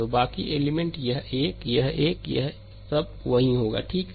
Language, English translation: Hindi, So, rest of the elements this one, this one, this one all will be there, right